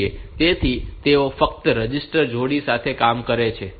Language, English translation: Gujarati, So, they work with register pair only